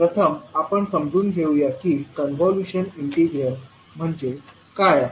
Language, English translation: Marathi, So let us start, first understand, what is the convolution integral